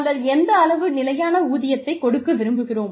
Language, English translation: Tamil, We also want to find out, how much of fixed pay, we want to give them